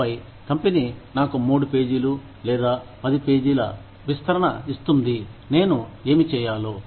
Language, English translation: Telugu, And then, the company gives me, a 3 page, or a 10 page, description of, what I need to do